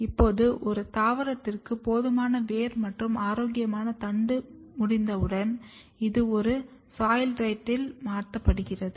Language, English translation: Tamil, Now, once my plant is having enough root and healthy shoot this is transferred on a soilrite